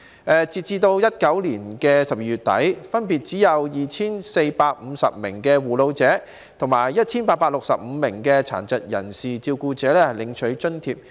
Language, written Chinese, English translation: Cantonese, 截至2019年12月底，分別只有 2,450 名護老者及 1,865 名殘疾人士照顧者領取津貼。, As of the end of December 2019 only 2 450 carers taking care of the elderly and 1 865 carers taking care of persons with disabilities have received the allowance